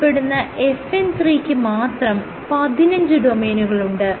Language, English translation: Malayalam, So, the FN 3 it itself has 15 domains